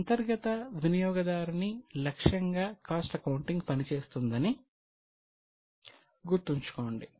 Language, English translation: Telugu, Keep in mind that cost accounting is primarily targeted to internal users